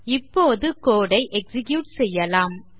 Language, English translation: Tamil, Lets now execute the code